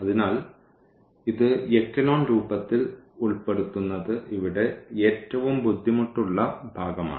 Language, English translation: Malayalam, So, this putting into echelon form that is the most I mean the difficult part here